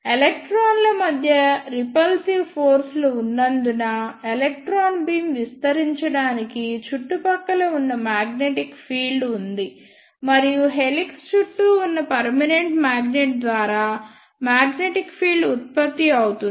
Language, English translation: Telugu, There is a surrounding magnetic field to hold the electron beam as they tend to spread out because of the repulsive forces present between the electrons and that magnetic field is produced by the permanent magnet present surrounding the helix